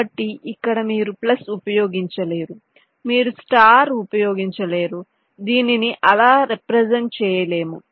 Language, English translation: Telugu, so here you cannot use plus, you cannot use star